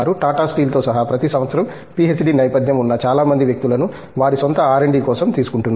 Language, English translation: Telugu, Including even Tata steel, every year he is taking a number of people with a PhD background so, for their own R&D